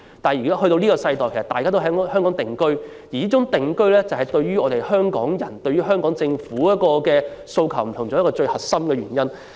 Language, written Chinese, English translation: Cantonese, 但是，在現今的世代，大家已經在香港定居，這也是香港人對香港政府有不同訴求的最核心原因。, However people of the current generations have already settled down in Hong Kong and this is also the core reason why we Hong Kong people have different expectations of their government